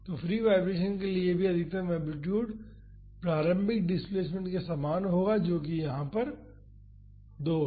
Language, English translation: Hindi, So, for the free vibration also the maximum amplitude will be same as the initial displacement that is 2 here